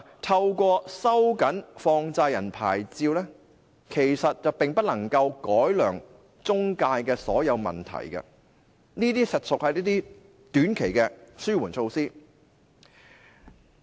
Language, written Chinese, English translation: Cantonese, 透過收緊放債人牌照，其實並不能夠改良中介公司的所有問題，這些實屬一些短期的紓緩措施。, Actually the tightening of money lenders licences cannot ameliorate all the problems with intermediaries as these are only short - term relief measures